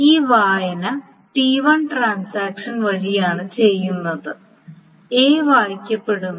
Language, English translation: Malayalam, So this read is done by transaction T1 and A is being read